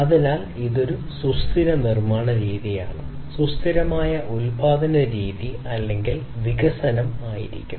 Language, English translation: Malayalam, So, that will be a sustainable method of manufacturing, sustainable method of production or development